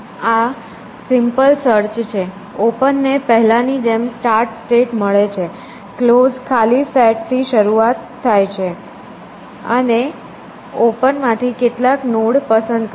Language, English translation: Gujarati, So, this is simple search two, open as before gets the start state closed as is the new this thing, which start with the empty set and pick some node from open